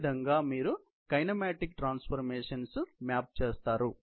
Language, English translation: Telugu, This is how you map the kinematic transformations